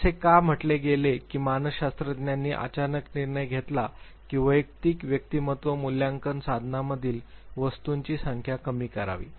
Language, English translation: Marathi, So, why was said that psychologist suddenly decided that the number of items in individual personality assessment tools should reduced